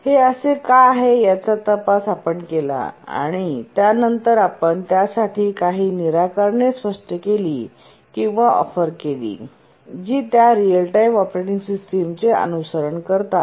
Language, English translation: Marathi, We investigated why it was so and then we explained or offered some solutions for that which all real time operating systems, they do follow those